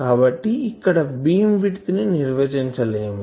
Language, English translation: Telugu, So, there is no beam width cannot be defined here